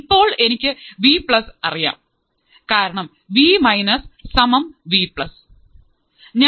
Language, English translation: Malayalam, Now, I know Vplus right because Vminus equals to Vplus